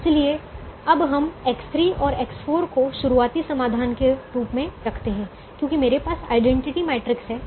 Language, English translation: Hindi, so we now keep x three and x four as the starting solution because i have the identity matrix